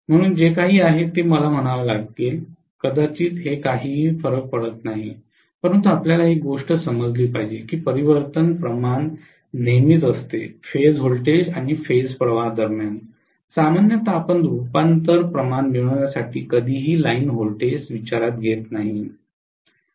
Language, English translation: Marathi, So whatever is this one let me probably call this this doesn’t matter, but one thing you guys have to understand is that the transformation ratio is always between phase voltages and phase currents, generally you never take the line voltages into consideration for getting the transformation ratio